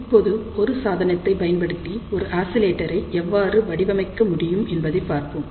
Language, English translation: Tamil, So, now, let us see how we can design an oscillator using a device